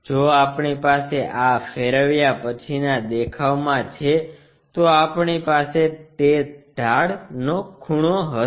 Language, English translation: Gujarati, If we have it in this rotation view, we will have that inclination angle